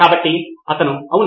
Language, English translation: Telugu, So he said, yes